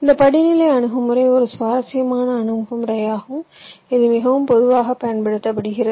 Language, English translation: Tamil, this hierarchical approach is an interesting approach which also is quite commonly used